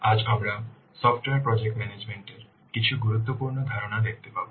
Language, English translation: Bengali, Today we will see some important concepts of software project management